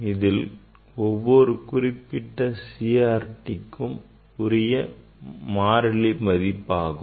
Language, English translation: Tamil, if this is the constant for a particular CRT, so we can write K